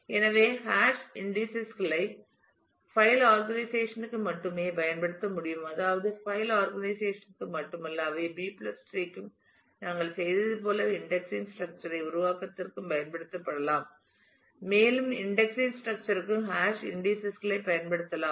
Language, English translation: Tamil, So, hash indices can be used only for file organization I mean not only for file organization, but they can also be used for indexed structure creation like we did for B plus tree we can use the hash indices for index structure also